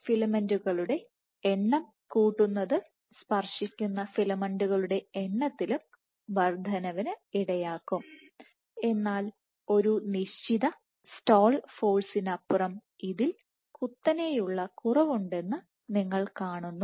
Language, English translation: Malayalam, So, increasing the number of filaments will lead to increase in the number of you know number of contacting filaments also, but beyond a stall force you see there is a sharp drop